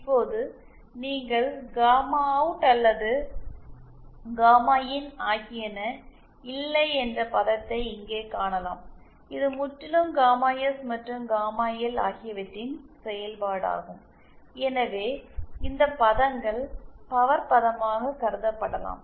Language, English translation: Tamil, As you can see it is now there is no gamma OUT or gamma IN term here it is purely a function of gamma S and gamma L and so these terms are can be considered as gain term